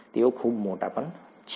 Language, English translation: Gujarati, They are very large too